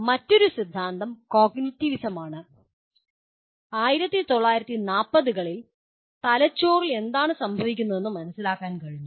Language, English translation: Malayalam, Then another theory is “cognitivism”, where around 1940s there is a some amount of understanding what is happening in the brain